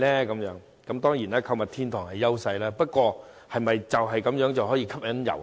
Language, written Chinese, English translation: Cantonese, 購物天堂當然是我們的優勢，但是否這樣便可以吸引遊客？, While being a shoppers paradise is definitely our competitive edge can we rely on this alone to attract visitors?